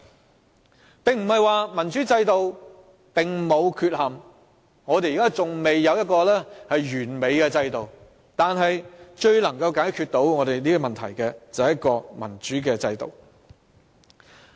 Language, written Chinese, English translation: Cantonese, 這不是說民主制度沒有缺憾，我們現在仍未有一個完美制度，但至今而言，最能解決問題的仍是民主制度。, This does not mean a democratic system is flawless and in fact an impeccable system has yet to come but a democratic system is still the best in shooting problems so far